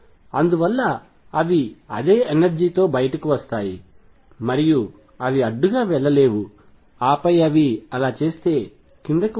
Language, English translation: Telugu, And therefore, they come out with the same energy and they cannot go up to the barrier, and then come down if they did